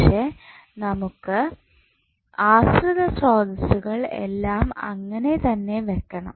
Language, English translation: Malayalam, But, we have to leave the dependent sources unchanged